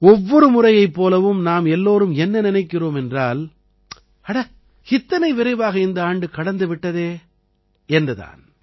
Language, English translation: Tamil, And like every time, you and I are also thinking that look…this year has passed so quickly